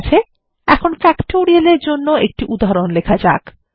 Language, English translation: Bengali, Okay, let us now write an example for Factorial